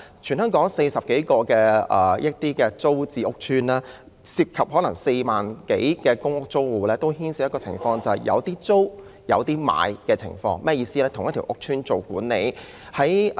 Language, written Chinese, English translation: Cantonese, 全港有40多個租置屋邨，當中涉及4萬多個公屋租戶，他們都面對的情況是屋邨內同時有租戶和業主。, There are 40 - odd TPS estates in Hong Kong involving some 40 000 public housing tenants . The situation faced by them is that there are both tenants and owners in the same estate